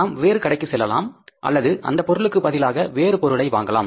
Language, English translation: Tamil, Either we go to the next shop or we replace that product with the other product